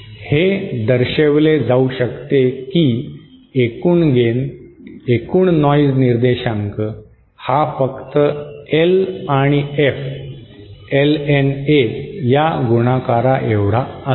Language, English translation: Marathi, It can be shown that the total gain total noise figure is simply L multiplied by F LNA